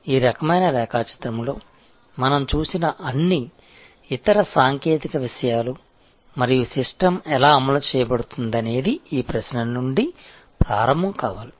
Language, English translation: Telugu, So, all the other technological things that we saw in this kind of diagram and how the system will deployed must start from this question